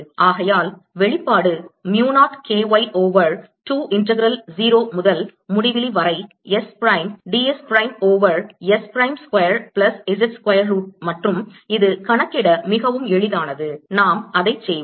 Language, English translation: Tamil, with this i get two and therefore the expression becomes mu naught k y over two integral zero to infinity s prime d s prime over s prime square plus z square square root, and this is very easy to calculate